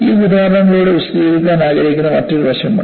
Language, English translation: Malayalam, There is also another aspect that is sought to be explained through this example